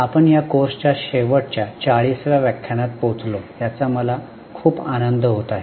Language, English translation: Marathi, I am very happy that we have reached the last 40th lecture of this course